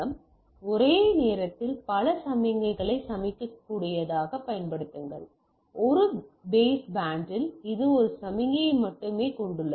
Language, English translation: Tamil, So, apply able to carry single multiple signals simultaneously, in a baseband it carries only one signal right